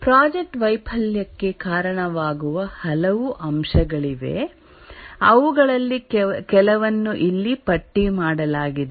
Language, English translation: Kannada, There are many factors which may contribute to a project failure, just listed some of them here